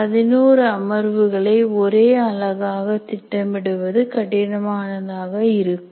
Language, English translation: Tamil, Planning 11 sessions as one, one college package or one unit can be tough